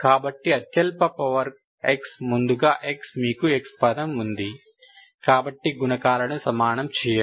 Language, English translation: Telugu, So lowest powers are x, first of all x, you have a x term, so equate the coefficients